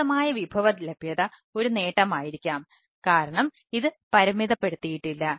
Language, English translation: Malayalam, extensive resource availability is maybe an advantage because this is not limited